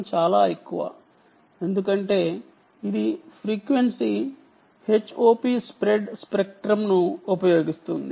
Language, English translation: Telugu, of course there is lot of to noise because it uses frequency hop spectrum